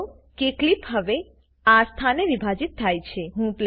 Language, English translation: Gujarati, Notice that the clip is now split at this position